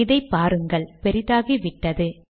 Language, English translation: Tamil, See this, it has become bigger